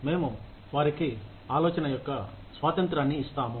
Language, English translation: Telugu, We will give them independence of thought